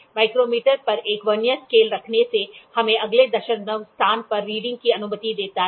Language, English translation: Hindi, Placing a Vernier scale on the micrometer permits us to take a reading to the next decimal place